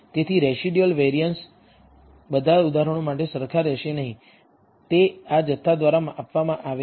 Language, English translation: Gujarati, So, the variance of the residual will not be identical for all examples, it is given by this quantity